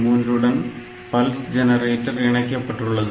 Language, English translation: Tamil, 3 this pulse generator is connected and on 1